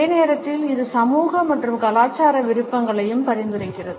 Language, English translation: Tamil, At the same time it also suggests societal and cultural preferences